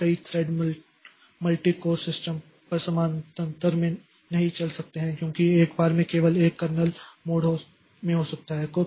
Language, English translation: Hindi, Multiple threads may not run in parallel on multi code system because only one may be in the in kernel mode at a time